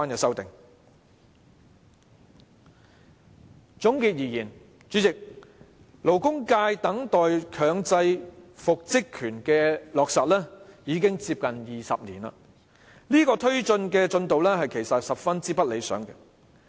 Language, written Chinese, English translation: Cantonese, 主席，總結而言，勞工界等待強制復職權的落實已接近20年，進度十分不理想。, President in conclusion the labour sector has waited for the implementation of the right to reinstatement for almost 20 years and the progress has been very undesirable